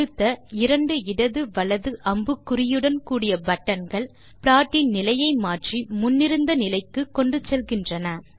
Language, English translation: Tamil, The next two buttons with left and right arrow icons change the state of the plot and take it to the previous state it was in